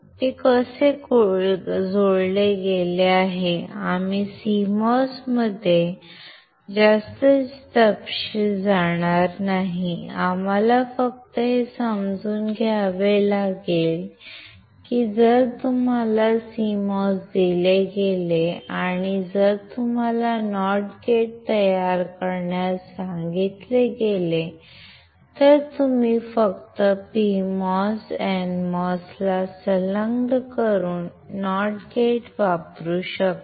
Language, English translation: Marathi, It is how it is connected and we will not go too much detail into CMOS, we have to just understand that if you are given a CMOS and if you are asked to form a not gate, you can use a not gate by just attaching PMOS to N mos, and the advantage of CMOS is at one time only it will only dissipate the power when it is in the on state